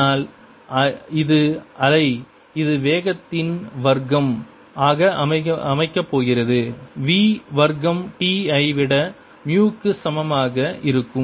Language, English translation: Tamil, this is the wave which will be going to be set up with ah speed square v, square t equal to mu